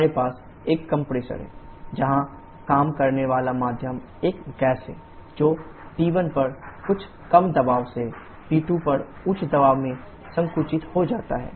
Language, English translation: Hindi, We have a compressor where the working medium is a gas that gets compressed from some low pressure at P1 to high pressure at P2